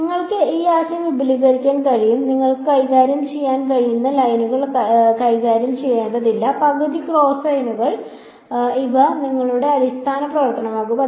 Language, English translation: Malayalam, So, you can extend this idea you dont have to deal with lines you can deal with you know half cosines these can be your basis function